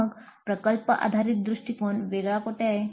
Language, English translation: Marathi, Then where does project based approach differ